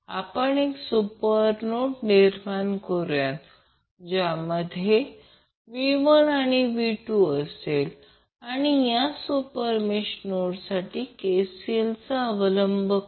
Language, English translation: Marathi, So what we can do, we create one super node which includes V 1 and V 2 and we will apply KCL for this super node